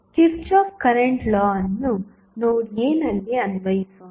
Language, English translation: Kannada, Let us apply the kirchhoff current law at node A